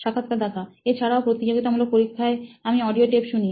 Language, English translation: Bengali, Also sometimes maybe like competitive exams, I used to listen to the audio tapes maybe